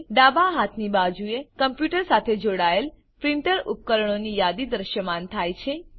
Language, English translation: Gujarati, On the left hand side, a list of printer devices connected to the computer, is displayed